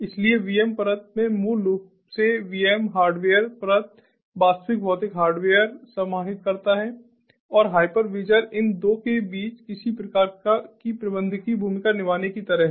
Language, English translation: Hindi, so the vm layer basically contains the vms, the hardware layer, the actual physical hardware, and the hypervisor is sort of playing some kind of a managerial role in between these two